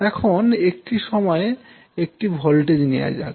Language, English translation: Bengali, Now let us take one voltage at a time